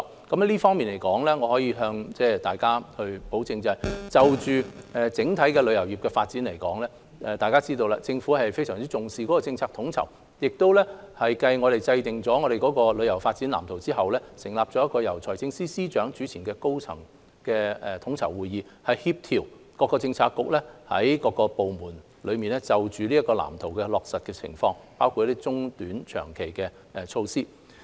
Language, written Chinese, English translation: Cantonese, 這方面我可以向大家保證，在整體旅遊業發展方面，大家都知道政府非常重視政策統籌，而繼我們制訂了《香港旅遊業發展藍圖》後，亦成立了一個由財政司司長主持的高層統籌會議，以協調各政策局及各部門落實該藍圖的情況，包括短、中、長期措施。, In this regard I can assure Members that the Government attaches much importance to coordination of policies in promoting the overall development of the travel industry as Members will know . After formulating the Development Blueprint for Hong Kongs Tourism Industry we have held high - level tourism coordinating meetings chaired by the Financial Secretary to coordinate the work of bureaux and departments in implementing the Blueprint including its short - medium - and long - term measures